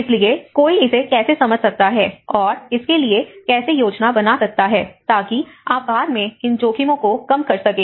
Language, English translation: Hindi, So, how one can understand this and how can plan for it so that you can reduce these risks later